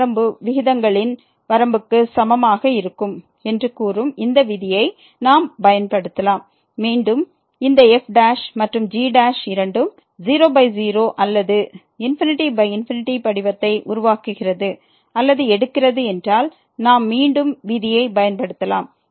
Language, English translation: Tamil, We can apply this rule which says that this limit will be equal to the limit of the ratios and if again this prime and prime they both becomes or takes the form by or infinity by infinity then we can again apply the rule